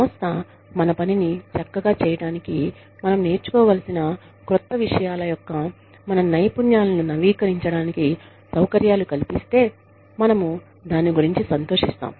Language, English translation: Telugu, If the organization facilitates, our updation, of our skills, of the new things, that we need to learn, in order to do our work, well